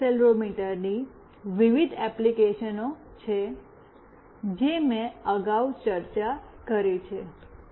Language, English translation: Gujarati, There are various applications of this accelerometer, I have already discussed previously